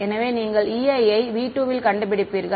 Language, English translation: Tamil, So, you will be finding out E i inside v 2